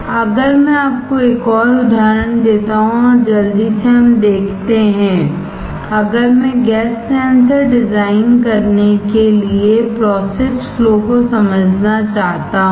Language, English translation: Hindi, If I give you another example and quickly let us see: if I want to understand the process flow for designing a gas sensor